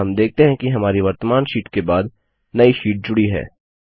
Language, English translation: Hindi, We see that a new sheet is inserted after our current sheet